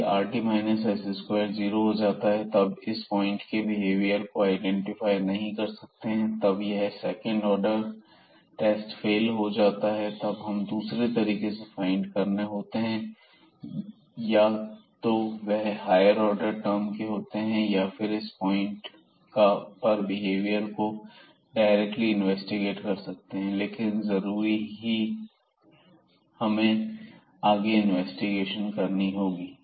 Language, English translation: Hindi, And here rt minus s square will be 0 in that case we cannot identify the behavior of this point and then this test at least the second order test fails and we have to find some other ways; either they the higher order terms we have to investigate or we have to directly investigate the behavior of this function at that point, but it is certainly needs further investigation